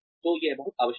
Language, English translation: Hindi, So, it is very essential